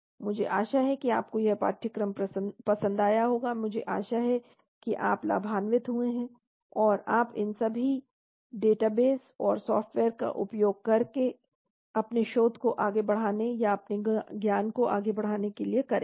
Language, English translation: Hindi, I hope you enjoyed this course I hope you have benefited and you can make use of all these databases and software’s for furthering your research or furthering your knowledge